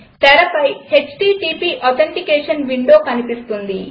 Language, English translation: Telugu, HTTP Authentication window appears on the screen